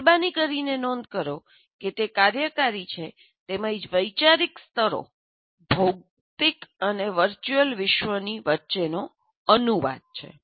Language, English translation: Gujarati, Please note that it is operational as well as conceptual levels translating between the physical and virtual world